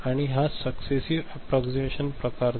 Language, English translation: Marathi, And this is successive approximation type